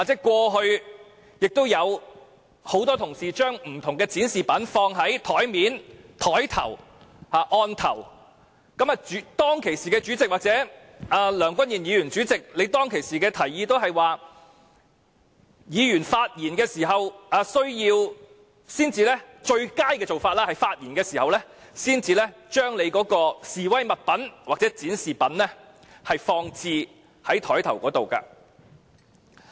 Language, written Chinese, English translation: Cantonese, 過去，有很多同事會把不同的展示品放在桌面或案頭，而當時的主席或現任主席梁君彥議員均會告訴議員，最佳的做法是在他們發言時才把示威物品或展示品放置在案頭。, In the past many colleagues would place objects for display on their tables or desks and the incumbent President would tell Members that the best practice was to place the object for protest or display on their desks when it was their turn to speak and this is also the approach adopted by the current President